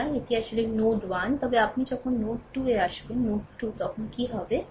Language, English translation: Bengali, So, this is this is actually node 1, but when you come to node 2, node 2 then what will happen